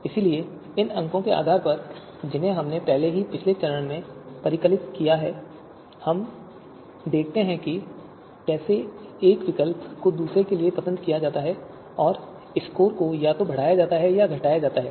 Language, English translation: Hindi, So based on the you know based on these scores that we have already computed in previous stage, we see that how an alternative is preferred you know over another and the score is either incremented or you know reduced by one